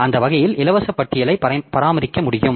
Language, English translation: Tamil, So that way we we can maintain the free list